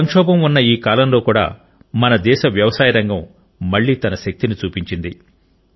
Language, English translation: Telugu, Even in this time of crisis, the agricultural sector of our country has again shown its resilience